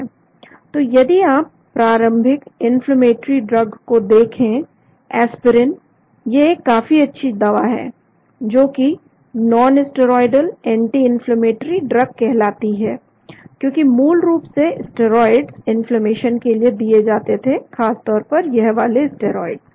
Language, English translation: Hindi, So if you look at original inflammatory drug, aspirin is quite a good drug , which is called a nonsteroidal anti inflammatory drugs, because originally steroids are given for inflammation especially steroids at here